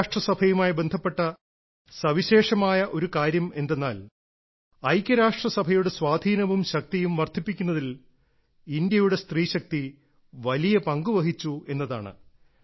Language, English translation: Malayalam, A unique feature related to the United Nations is that the woman power of India has played a large role in increasing the influence and strength of the United Nations